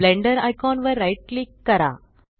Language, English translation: Marathi, Right Click the Blender icon